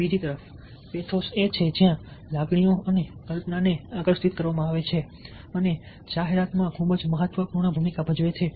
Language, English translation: Gujarati, on the other hand, pathos is where there is an appeal to emotions and to imagination and in advertising this plays a very, very significant role